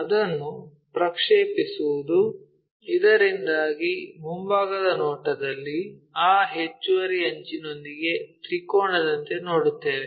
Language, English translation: Kannada, Project it, so that in the front view we will see it like a triangle along with this additional edge